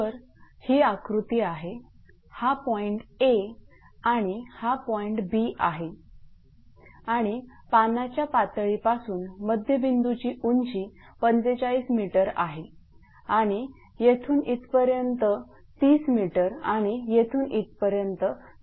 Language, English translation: Marathi, So, this is that a point A and point B and from the water level midpoint height is 45 meter and from here to here is 30 meter and from here to here is 70 meter